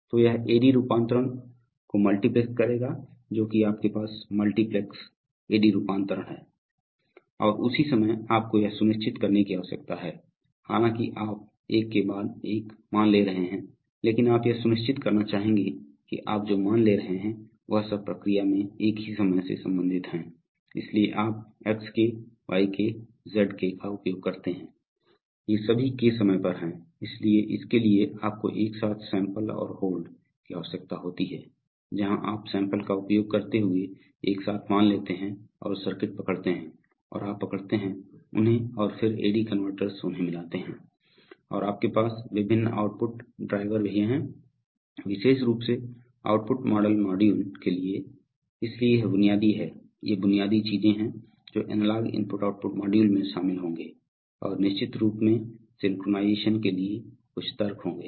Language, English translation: Hindi, So it will multiplex the AD conversion, so you have multiplex AD conversion and at the same time you need to ensure that, although you are taking the values one after the other but you would like to ensure that the values that you are taking finally all belong to the same time instant in the process, so you use XK YK ZK all of them are at K time instant, so for that you need simultaneous sample and hold where you take the value simultaneously using sample and hold circuits and you hold them and then AD converter mix them up and you also have various output drivers, especially for output model modules, so this is the basic, these are the basic things that analog i/o module will contain and of course some logic for synchronization then you have a different kind of i/o modules which are called distributed or sometimes called remote i/o modules